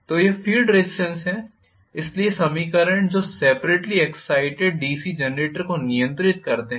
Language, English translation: Hindi, So, this is field resistance, so this is, these are the equations which governed the operation of separately excited DC generator